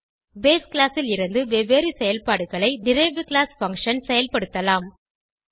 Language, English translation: Tamil, Derived class function can perform different operations from the base class